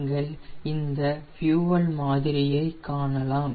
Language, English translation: Tamil, so you can see the fuel sample